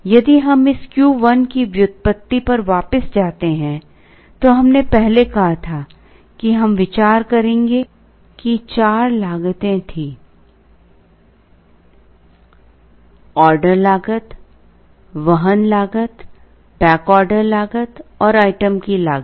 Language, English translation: Hindi, If we go back to the derivation of this Q1, we first said that we would consider there were 4 costs; the order cost, the carrying cost, the back order cost and the cost of the item